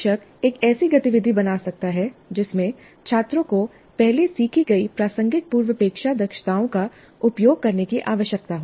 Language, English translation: Hindi, Teacher could create an activity that requires students to utilize the relevant prerequisite competencies that have been previously learned